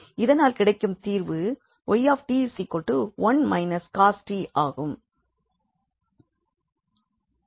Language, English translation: Tamil, So, we have the solution y t as 1 minus cos t